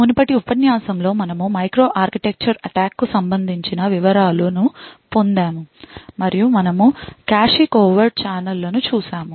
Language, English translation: Telugu, In the previous lecture we got in details to microarchitecture attacks and we looked at cache covert channels